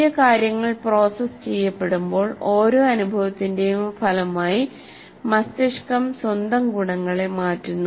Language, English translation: Malayalam, And as new things are getting processed, the brain changes its own properties as a result of every experience, the brain changes its own properties